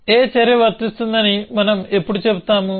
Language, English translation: Telugu, When do we say that action a is applicable